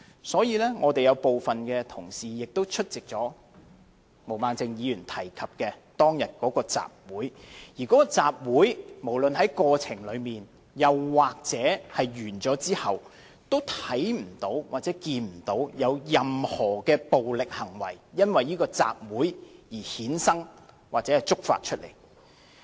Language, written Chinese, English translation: Cantonese, 所以，我們有部分同事也有出席毛孟靜議員提及的當日的集會，而該集會，無論在過程中或完結後，均未有看見有任何的暴力行為，因為這集會而衍生或觸發出來。, Thus some of the Members also attended the rally on that day to which Ms Claudia MO referred . In fact not any acts of violence had been incited or provoked therefrom both during and after the rally